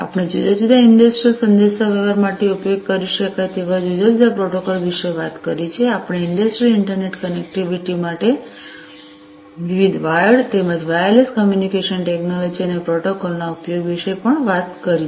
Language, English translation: Gujarati, We have talked about different protocols that could be used for industrial communication, we have also talked about the use of different wired as well as wireless communication technologies and protocols, for industrial internet connectivity